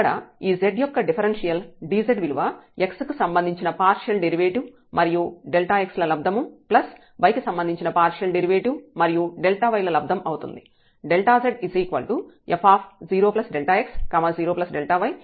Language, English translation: Telugu, And, now this dz the differential of z is partial derivative with respect to x delta x plus the partial derivative of z with respect to y and then we have delta y